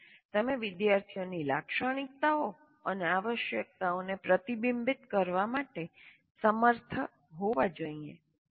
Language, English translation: Gujarati, And he should also, should be able to reflect on students' characteristics and needs